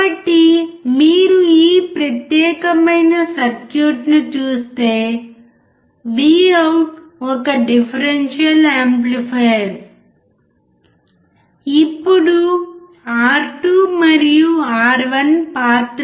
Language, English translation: Telugu, So, if you see this particular circuit, Vout is a differential amplifier, Now, what is the role of R2 and R1